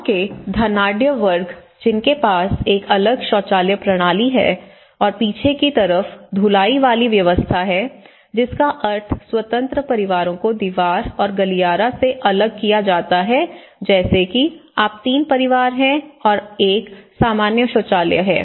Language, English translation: Hindi, But you look at it the wealthy class of the village, they have a detached toilet system and detached washing systems towards the rear side so which means though the independent families are segregated by wall and the common corridors at the end like you have the 3 families living like this but they have a common toilet